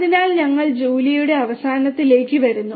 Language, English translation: Malayalam, So, with this we come to an end of Julia